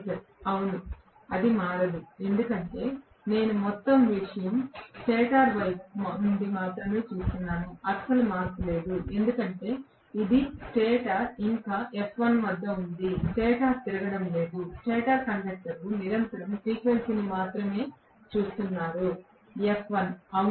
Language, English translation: Telugu, Professor: Xm and Rc will remain the same meaning, yes, that will not change because I am looking at the whole thing only from the stator side, no change at all, because it is stator is still at F1, stator is not rotating, stator conductors are continuously looking at the frequency only as F1